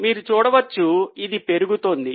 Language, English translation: Telugu, You can see there is a gradual rise